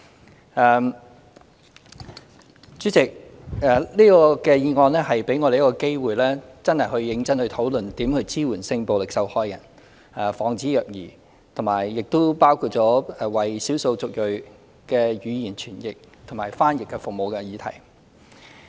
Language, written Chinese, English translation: Cantonese, 代理主席，這項議案給大家一個機會，認真討論如何支援性暴力受害人、防止虐兒，亦包括為少數族裔提供語言傳譯和翻譯服務的議題。, Deputy President the motion gives Members an opportunity to discuss seriously how we should support sexual violence victims and prevent child abuse . It also brings up the issue of the provision of translation and interpretation services for ethnic minorities